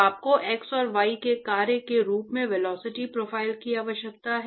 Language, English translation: Hindi, And you need the velocity profile as a function of x and y